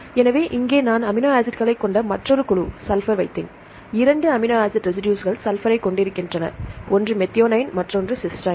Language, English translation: Tamil, So, here I put another group sulphur containing amino acids, there are two amino acid residues contain Sulphur; one is methionine one is Cysteine